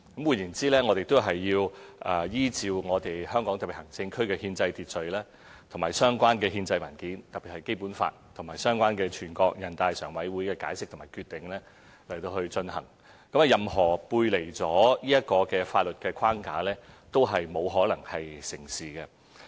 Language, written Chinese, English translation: Cantonese, 換言之，是要依照香港特別行政區的憲制秩序及相關的憲制文件，特別是《基本法》及相關的全國人大常委會的解釋和決定去進行，任何背離這個法律框架的方案，都不可能成事。, In other words it has to be conducted under the constitutional order and related constitutional documents of the Hong Kong Special Administrative Region SAR especially the Basic Law and the relevant decisions and interpretations of the Standing Committee of the National Peoples Congress . Any proposal which deviates from this legal framework can never be materialized